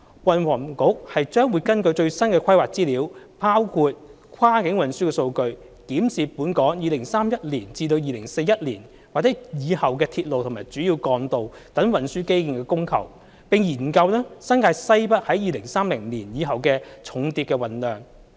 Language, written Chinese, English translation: Cantonese, 運輸及房屋局將會根據最新的規劃資料，包括跨境運輸數據，檢視本港2031年至2041年或以後的鐵路和主要幹道等運輸基建的供求，並研究新界西北在2030年以後的重鐵運量。, Based on the latest planning information the Transport and Housing Bureau will examine the demand for and supply of transport infrastructure including railways and major roads in Hong Kong between 2031 and 2041 and study the loading of the heavy rails in the Northwest New Territories beyond 2030